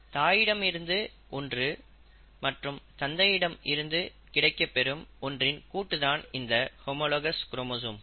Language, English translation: Tamil, Now, so the homologous chromosomes are the chromosomes that we are receiving each set, one set receiving from mother, and one set receiving from father